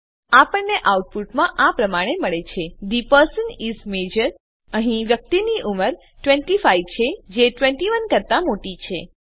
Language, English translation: Gujarati, We get the output as the person is major Here, the persons age is 25, which is greater than 21